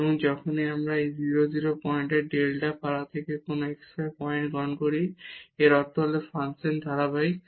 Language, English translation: Bengali, And, whenever we take any point xy from this delta neighborhood of this 0 0 point and this implies that the function is continuous